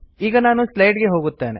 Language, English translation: Kannada, Let me go back to the slides now